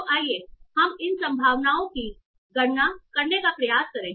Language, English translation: Hindi, So let us try to compute these probabilities